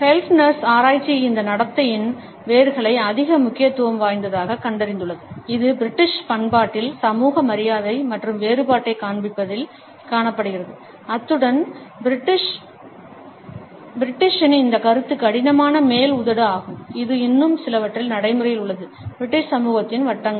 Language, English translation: Tamil, Keltners research has traced the roots of this behavior in the greater emphasis, which is found in the British culture on the display of social politeness and difference as well as this concept of the British is stiff upper lip which is a still very much practiced in certain circles of the British society